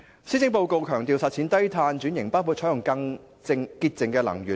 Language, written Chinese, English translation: Cantonese, 施政報告強調實踐低碳轉型，包括採用更潔淨能源。, The Policy Address emphasizes on achieving low - carbon transformation which includes adopting cleaner fuels